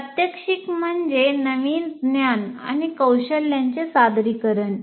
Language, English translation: Marathi, And then you demonstrate the new knowledge and skills